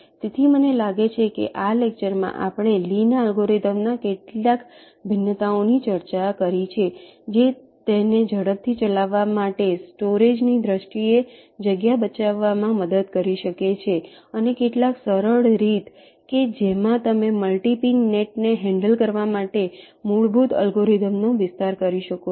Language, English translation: Gujarati, so i think, ah, in this lecture we have discussed ah, some of the variations of lees algorithm which can help it to save space in terms of storage, to run faster, and also some simple way in which you can extend the basic algorithm to handle multi pin nets